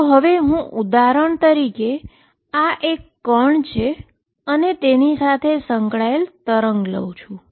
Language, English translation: Gujarati, So, for example, when I take this particle and a wave associated with it